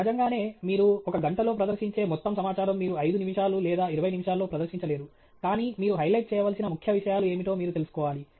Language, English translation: Telugu, Naturally, all the information that you present in one hour, all that information you will not be able to present in 5 minutes or 20 minutes, but you should know what are the key things that you need to highlight